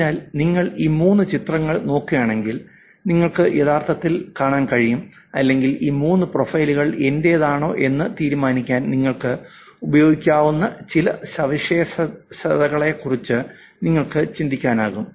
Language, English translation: Malayalam, So if you look at these three images, you can actually see or you can actually think about some features that you can use for deciding whether these three profiles are mine